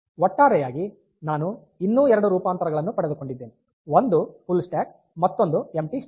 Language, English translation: Kannada, So, overall, I have got two more variants one is full stack another is empty stack